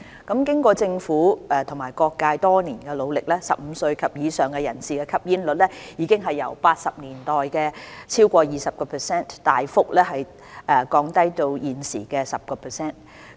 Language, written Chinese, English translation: Cantonese, 經過政府和各界多年努力 ，15 歲及以上人士的吸煙率已由1980年代超過 20%， 大幅降低至現時 10%。, With the concerted efforts by the Government and other stakeholders over the years smoking prevalence among persons aged 15 and above has significantly dropped from over 20 % in the 1980s to 10 % at present